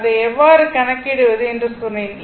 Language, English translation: Tamil, I told you how to calculate it; everything is here, right